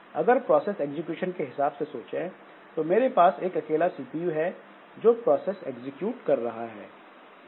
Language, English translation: Hindi, So, in terms of this process execution by the CPU, so I can have a single CPU which is executing the processes